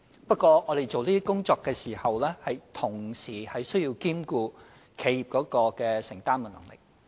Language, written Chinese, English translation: Cantonese, 不過，我們做這些工作時，須同時兼顧企業的承擔能力。, But when we carry out work to this end it is also necessary to have regard to the affordability of enterprises